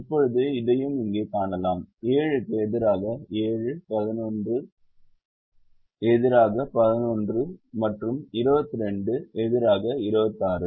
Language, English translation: Tamil, now you can see this also here: seven versus seven, eleven versus eleven and twenty two versus twenty six